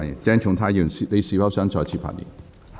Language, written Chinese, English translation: Cantonese, 鄭松泰議員，你是否想再次發言？, Dr CHENG Chung - tai do you wish to speak again?